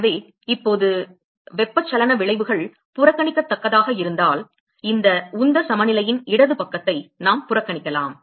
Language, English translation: Tamil, So, now, so, if the convective effects are negligible we can neglect the left hand side of this momentum balance ok